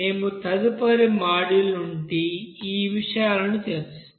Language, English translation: Telugu, So we will be discussing from next module onward those things